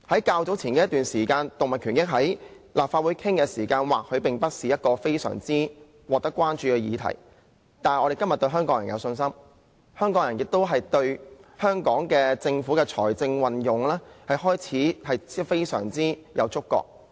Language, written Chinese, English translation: Cantonese, 較早前立法會曾討論動物權益，這或許不是非常惹人關注的議題，但我們對香港人有信心，香港人亦開始對政府的財政運用非常有觸覺。, The issue of animal rights was discussed in the Legislative Council earlier . It might not be a topic of popular concern but we have confidence in the people of Hong Kong who have begun to be very sensitive to the use of public finances